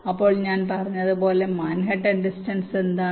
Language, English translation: Malayalam, so, as i said, what is manhattan distance